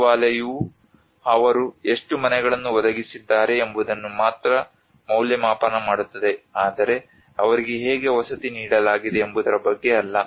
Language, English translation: Kannada, The Ministry is only evaluate how many houses they have provided but not on how they have been accommodated